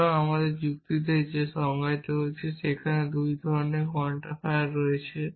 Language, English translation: Bengali, So, in our logic that we have defined there only 2 kinds of quantifiers and in the sentences there are no free variables